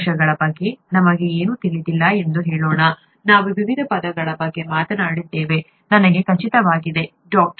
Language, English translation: Kannada, Let us say we know nothing about cells, we have been talking of various terms, I am sure, even in the other lectures by Dr